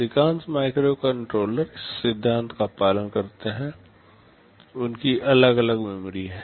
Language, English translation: Hindi, Most of the microcontrollers follow this principle; they have separate memories